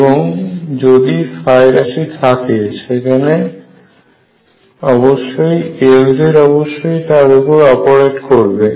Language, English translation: Bengali, If it was there then L z would operate on it